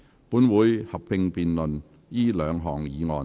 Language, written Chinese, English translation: Cantonese, 本會會合併辯論這兩項議案。, This Council will now proceed to a joint debate on the two motions